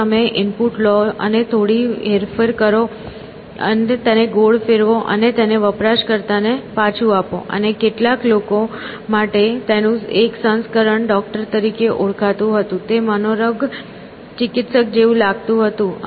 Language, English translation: Gujarati, If you take the input, do a little bit of twisting, turn it round of it and put it back to the user; and, to some people it is, one version of it called Doctor, sounded like a psychotherapist